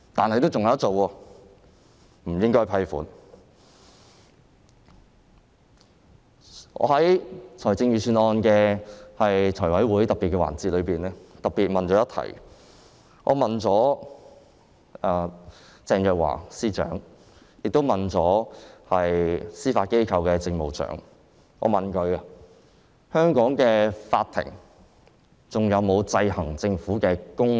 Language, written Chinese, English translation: Cantonese, 我在審議預算案的財務委員會特別會議中，特別向鄭若驊司長和司法機構政務長提問，香港的法庭還有否制衡政府的功能。, At a special meeting of the Finance Committee for examining the Budget I specifically put a question to Secretary for Justice Teresa CHENG and the Judiciary Administrator as to whether Hong Kong courts still exercise the function of checking and balancing the Government